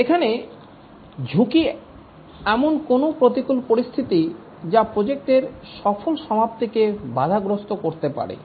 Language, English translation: Bengali, Here the risk is any adverse circumstance that might hamper the successful completion of the project